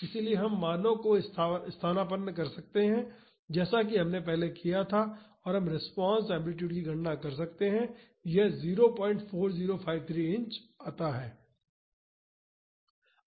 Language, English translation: Hindi, So, we can substitute the values as we did earlier and we can calculate the response amplitude and that comes out to be 0